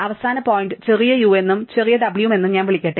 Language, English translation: Malayalam, Let me call the end point small u and small w